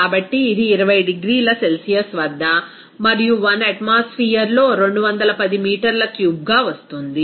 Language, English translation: Telugu, So, it will be coming as 210 meter cube at 20 degrees Celsius and on 1 atmosphere